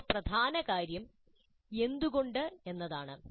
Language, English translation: Malayalam, The next important point is why